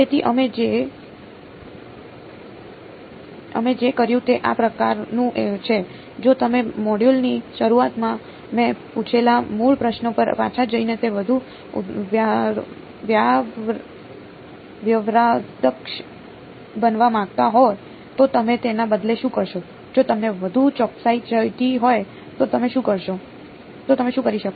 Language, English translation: Gujarati, So, this is sort of what we did; if you want it to be more sophisticated going back to the very original question I asked the start of the module, what would you do instead what could you do instead if you want it more accuracy